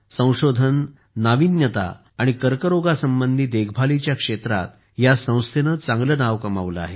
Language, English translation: Marathi, This institute has earned a name for itself in Research, Innovation and Cancer care